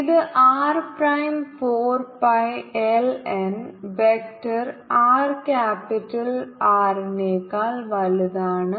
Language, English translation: Malayalam, so we we can write d phi prime, d j prime, vector r minus vector capital r